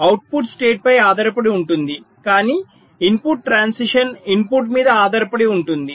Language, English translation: Telugu, the output depends on the state, but the input transition may depend on the input